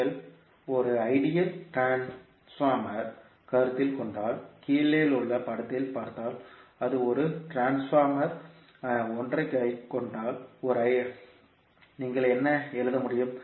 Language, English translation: Tamil, If you consider an ideal transformer, if you see in the figure below it is an ideal transformer having some trans ratio 1 is to n, so what you can write